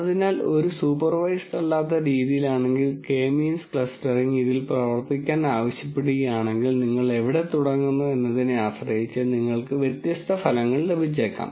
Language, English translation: Malayalam, So, if in an unsupervised fashion if you ask K means clustering to work on this, depending on where you start and so on, you might get different results